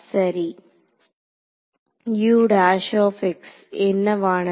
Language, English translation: Tamil, So, what is fine